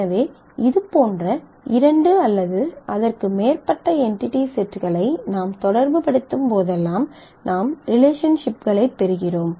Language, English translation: Tamil, So, whenever we relate two or more entity sets like this we get relationships